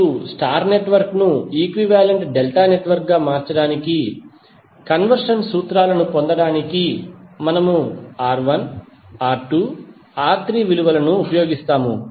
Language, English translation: Telugu, Now, to obtain the conversion formulas for transforming a star network into an equivalent delta network, we use the value of R1, R2, R3